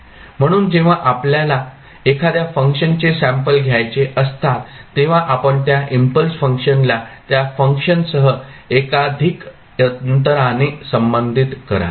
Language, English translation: Marathi, So, when you want to sample a particular function, you will associate the impulse function with that function at multiple intervals then you get the sample of that function at various time intervals